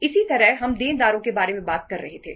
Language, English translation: Hindi, Similarly, we were talking about the debtors